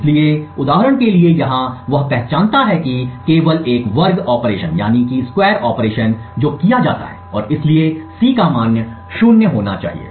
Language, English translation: Hindi, So, for example over here he identifies that there is only a square operation that is performed and therefore the value of C should be 0